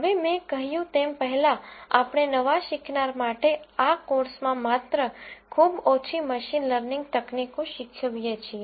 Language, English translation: Gujarati, Now, as I mentioned before we teach only very few machine learning techniques in this course for the beginners